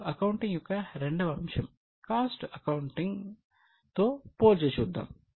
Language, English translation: Telugu, Now let us compare with second stream of accounting that is cost accounting